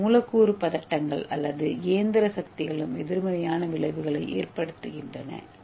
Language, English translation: Tamil, And also the molecular tensions are mechanical forces also have the negative effects on the structures